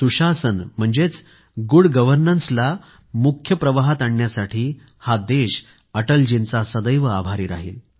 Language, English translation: Marathi, The country will ever remain grateful to Atalji for bringing good governance in the main stream